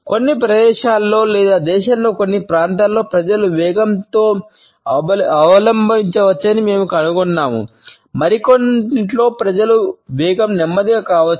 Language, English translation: Telugu, We find that in certain provinces or in certain parts of the country people may adopt a faster pace, whereas in some others people may adopt a slower pace